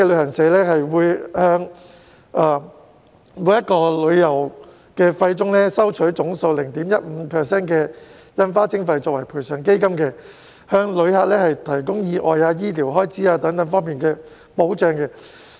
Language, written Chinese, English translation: Cantonese, 本港旅行社會從每筆旅遊費中收取總數 0.15% 的印花徵費作為賠償基金，向旅客提供意外和醫療開支等方面的保障。, Local travel agents will deduct 0.15 % of every outbound fare as stamp levy for the Compensation Fund so as to provide accident and medical coverage for travellers